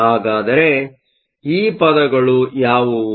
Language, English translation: Kannada, So, what are these terms